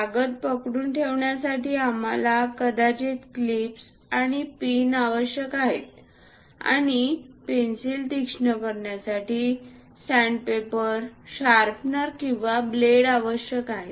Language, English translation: Marathi, To hold the paper, we require paper clips and pins; and to sharpen the pencil, sandpaper, sharpener, or blades are required